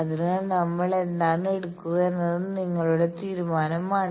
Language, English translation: Malayalam, So, which one we will take it is your judgement